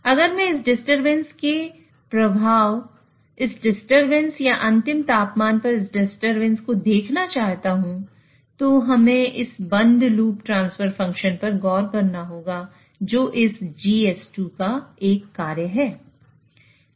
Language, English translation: Hindi, So if I want to now look at the effect of this disturbance, this disturbance or this disturbance on the final temperature, we will have to look into this close loop transfer function, which is the function of this GS2